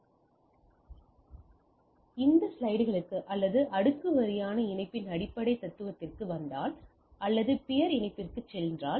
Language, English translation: Tamil, So, if we come to the basic slides, or basic philosophy of layer wise connectivity, or peer to peer connectivity